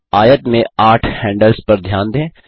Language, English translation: Hindi, Notice the eight handles on the rectangle